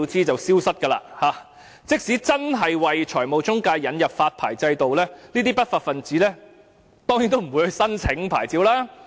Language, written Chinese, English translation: Cantonese, 即使政府真的就財務中介引入發牌制度，這些不法分子當然不會申請牌照。, Even if the Government should really introduce a licensing regime for financial intermediaries such lawbreakers will certainly not apply for a license